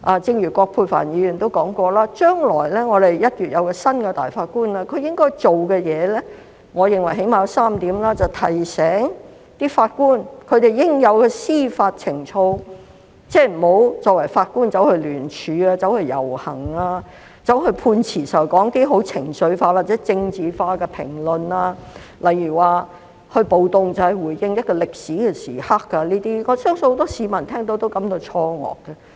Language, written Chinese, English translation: Cantonese, 正如葛珮帆議員也提到，我們的新任首席法官將於1月履新，他應該做的事情，我認為最低限度有3點：提醒法官應具備的司法情操，即作為法官，不應參與聯署、遊行，或在撰寫判詞時作出情緒化或政治化的評論，例如參與暴動是見證一個歷史時刻這種評論，我相信很多市民聽到也會感到錯愕。, I think he has at least three tasks to do remind judges of their due judicial ethics . That means as judges they should not participate in any joint signature campaign or demonstration or make any emotional or political remarks in their written judgments . For instance I believe many people was shocked by the remarks that participating in a riot was to witness a historical moment